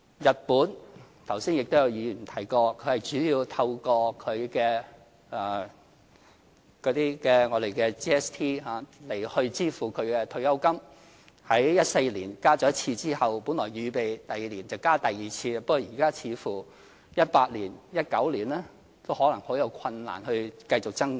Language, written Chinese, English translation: Cantonese, 日本——剛才也有議員提過——主要是透過 GST 來支付退休金開支，在2014年增加過一次之後，本來預備第二年增加第二次，但現在似乎2018年或2019年都可能難以繼續增加。, Pension payments in Japan are financed by revenue from GST that is goods and services tax . After increasing the payments in 2014 it was originally planned to increase the amount again in the next year yet it seems likely now that the increase cannot take place even in 2018 or 2019